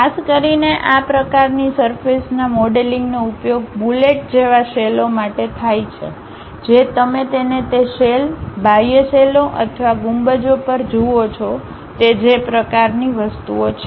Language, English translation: Gujarati, Especially, this kind of surface modelling is used for shells like bullets you would like to really see it on that shell, outer shells or domes that kind of objects